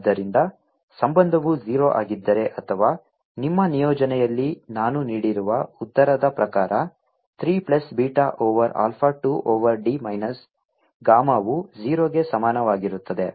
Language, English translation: Kannada, so the relationship is this: if the divergence has to be zero or in terms of the answer which i have given in your assignment, is alpha over three plus beta over six, minus gamma over two is equal to zero